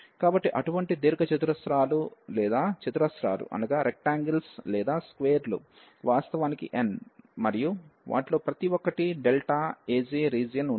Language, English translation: Telugu, So, such rectangles or the squares are actually n and each of them has the area delta A j